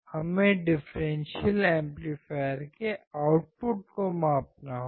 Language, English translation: Hindi, We have to measure the output of the differential amplifier